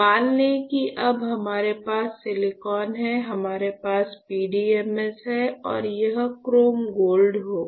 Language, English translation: Hindi, So, let us say we have now silicon, we have PDMS and this one will be your chrome gold, all right